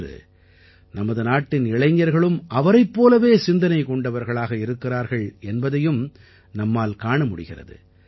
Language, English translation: Tamil, Today, we see that the youth of the country too is not at all in favour of this thinking